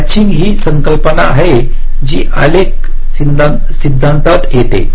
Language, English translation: Marathi, so matching is a concept that comes from graphs theory